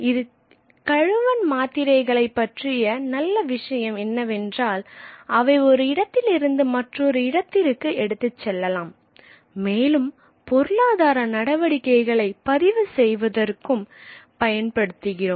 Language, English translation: Tamil, So, good thing about clay tablets is that they could be passed on from one place to another and could be used as methods of recording economic activity